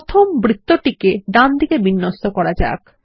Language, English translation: Bengali, First let us align the circle to the Right